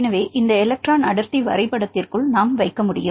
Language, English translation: Tamil, So, for we can accommodate right within this electron density map